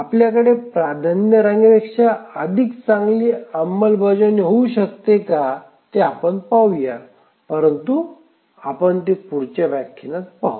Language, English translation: Marathi, So, let's see whether we can have a better implementation than a priority queue but that we will look at the next lecture